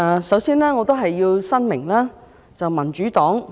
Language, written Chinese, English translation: Cantonese, 首先，我要申明民主黨的立場。, Before all else I have to make clear the position of the Democratic Party